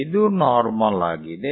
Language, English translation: Kannada, So, this is normal